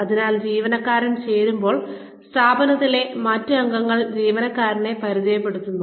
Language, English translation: Malayalam, So, when the employee joins, we introduce the employee to other members of the organization